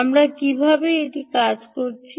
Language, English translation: Bengali, how did we make it work